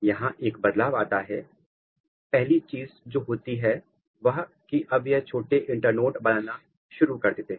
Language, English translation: Hindi, There is a change the first thing what happens that now it start making short internode so, short internode